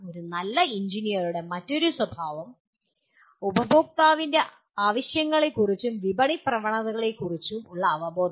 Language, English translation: Malayalam, Then another characteristic of a good engineer, awareness of customer’s needs and market trends